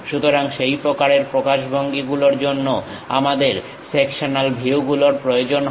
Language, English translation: Bengali, So, such kind of representation for that we required these sectional views